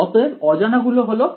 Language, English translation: Bengali, So, unknowns are